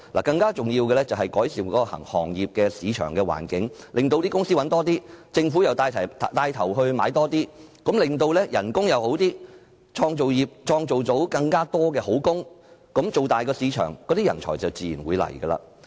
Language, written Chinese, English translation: Cantonese, 更重要的是，政府應改善行業的市場環境，令企業賺取更多利潤，政府又帶頭購買更多產品，從而令薪酬上升，創造更多好工，把市場做大，這樣人才便自然會來。, More importantly the Government should improve the market environment of the industry so that enterprises can make more profits . The Government should also take the lead to purchase more products so that wages will increase and more desirable jobs will be created . Talent will naturally be attracted when the market becomes bigger